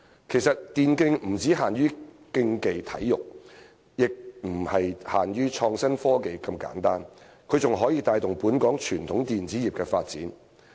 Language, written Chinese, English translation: Cantonese, 其實，電競不只限於競技體育，也不僅是創新科技這麼簡單，它還可以帶動本港傳統電子業的發展。, As a matter of fact e - sports are not merely competitive sports or simply a form of IT . They can also drive the development of the traditional electronics industry in Hong Kong